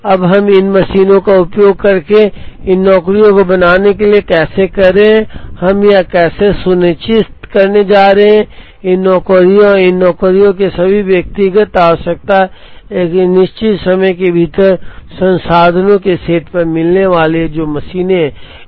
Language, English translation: Hindi, Now, how are we going to utilize these machines to make these jobs or how are we going to ensure that, these jobs and all the individual requirement of these jobs are going to be met within a certain time on a given set of resources, which are the machines